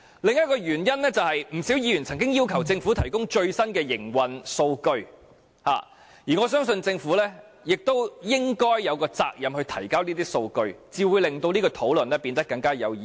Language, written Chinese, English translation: Cantonese, 另一個原因是，不少議員曾經要求政府提供最新的營運數據，我相信政府有責任提交這些數據，這樣才會令這項討論變得更有意義。, Another reason is that many Members have requested the Government to provide the latest data on operation . I believe the Government has the responsibility to provide such data . Only then will this discussion become more meaningful